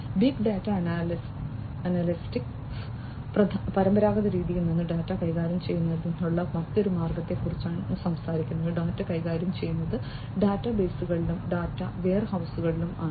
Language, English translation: Malayalam, Big data analytics talks about a different way of handling data from the conventional way, data are handled in databases and data warehouses